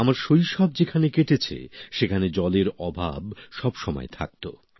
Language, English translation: Bengali, The place where I spent my childhood, there was always shortage of water